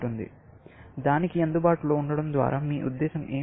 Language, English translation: Telugu, What do you mean by available to it